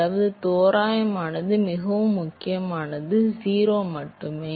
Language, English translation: Tamil, I mean approximate very important only approximately 0